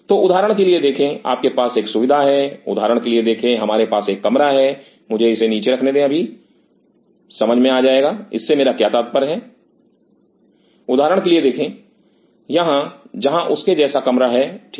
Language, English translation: Hindi, So, see for example, you have a facility see for example, we have a room let me put it down that will make sense what in meant by this see for example, here where room like this fine